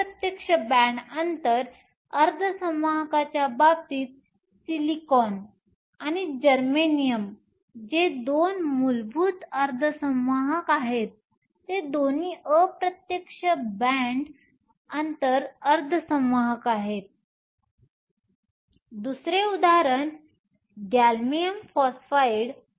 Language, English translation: Marathi, In the case of indirect band gap semiconductors, silicon and germanium which are our two elemental semiconductors are both indirect band gap semiconductors, another example gallium phosphide